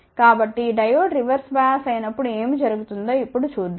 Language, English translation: Telugu, So, let us see now what happens when Diode is reverse biased